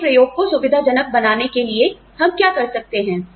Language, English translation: Hindi, What can we do, to facilitate your experimentation